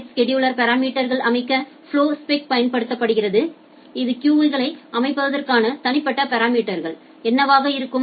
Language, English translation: Tamil, And the flowspec it is used to set the parameters in the packet scheduler that, what would be the individual parameters to setting up the queues